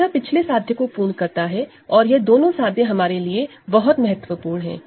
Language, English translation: Hindi, So, this is a, this completes the previous proposition together these two proposition are very important for us